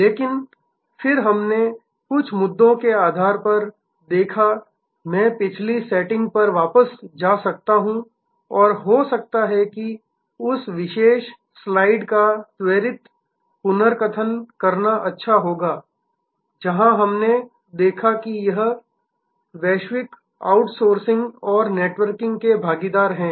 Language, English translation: Hindi, But, then we saw based on some of the issues, I can go back to the previous setting and may be it will be good to do a quick recap of that particular slide is, where we looked at that this is the global outsourcing and networking partners